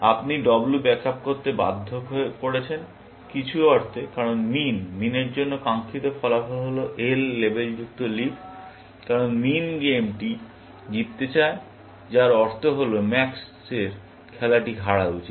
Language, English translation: Bengali, You have forced to back up W, in some sense, because min; the desired outcome for min is the leaf labeled L, because min wants to win the game, which means that max should lose the game